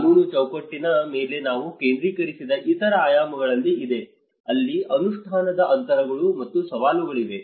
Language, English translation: Kannada, There is also one of the other dimensions which we focused on the legal framework where there has been an implementation gaps and challenges